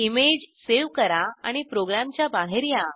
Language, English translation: Marathi, Save the image and exit the program